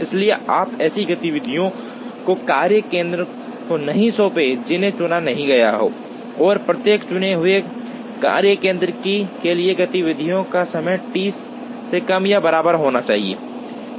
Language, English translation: Hindi, So, you cannot assign activities to a workstation that is not chosen, and for every chosen workstation the sum of the activity times should be less than or equal to T